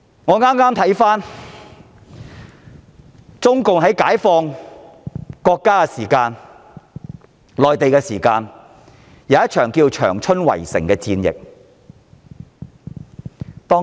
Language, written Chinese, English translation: Cantonese, 我剛回顧共產黨在解放國家戰爭時期進行的一場長春圍城戰。, I have just looked back at the siege of Changchun by the Communist Party of China CPC during the Chinese Civil War